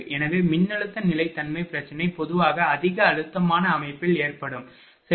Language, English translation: Tamil, So, voltage stability problem normally occur in heavily stressed system, right